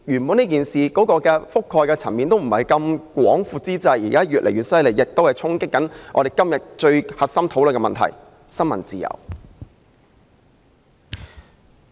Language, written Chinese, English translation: Cantonese, 本來事件的覆蓋層面並不太廣闊，現在卻越演越烈，衝擊着我們今天討論的核心問題——新聞自由。, Initially the incident did not have a wide coverage; but the development has now become intense since freedom of the press the central issue of our discussion today has been challenged